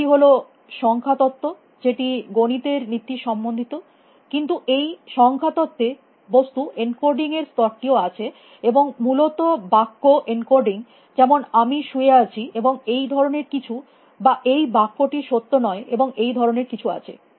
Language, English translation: Bengali, One is this level of number theory which is principle of mathematics is all about, but there is also this level of encoding things into this number theory and then encoding sentences like I am lying or something like that essentially or this sentence is not true and things like that